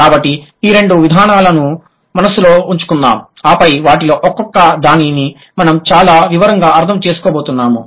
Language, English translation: Telugu, So, let's keep these two approaches in mind and then we will move to how we are going to understand each of them in a much detail